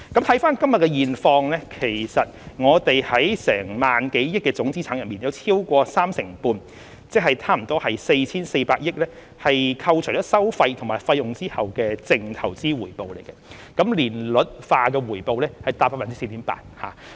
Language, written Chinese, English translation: Cantonese, 看看今日的現況，其實我們在萬多億元的總資產中有超過三成半，即近 4,400 億元為扣除收費和費用後的淨投資回報，年率化回報達 4.8%。, Looking at the current situation today in fact more than 35 % of our total assets of over 1,000 billion that is nearly 440 billion are net investment returns after deduction of fees and charges with an annualized return of 4.8 %